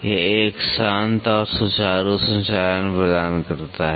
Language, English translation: Hindi, It could provide a quiet and a smooth operation